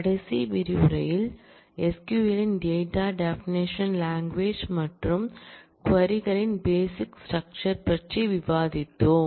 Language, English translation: Tamil, In the last module, we have discussed about the evolution of SQL the data definition language part of it and the basic structure of queries